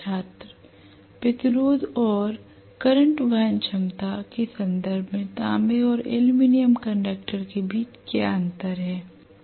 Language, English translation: Hindi, What is the difference between copper and aluminium conduction in terms of resistance and current carrying capacity